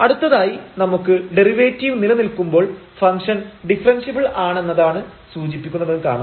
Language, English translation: Malayalam, The next we will see that if the derivative exists that will imply that the function is differentiable